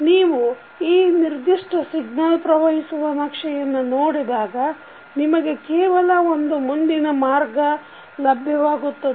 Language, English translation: Kannada, So, if you see in this particular signal flow graph you will have only one forward path there is no any other forward path available